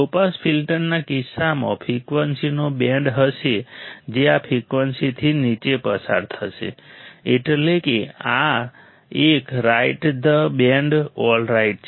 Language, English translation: Gujarati, In case of low pass filter there will be band of frequencies that will pass below this frequency that means, this one right this band alright